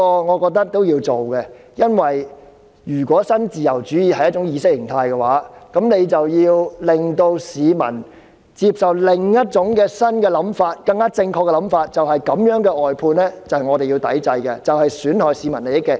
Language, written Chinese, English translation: Cantonese, 我認為這是要做的，因為如果新自由主義是一種意識形態，我們便要令市民接受另一種新想法，是更正確的想法，就是這種外判制度是要抵制的，因其損害市民利益。, I think this is what we should do . If neoliberalism is an ideology we have to make the public accept another new ideology the correct idea that this kind of outsourcing system should be boycotted due to the harms it does to the interests of the public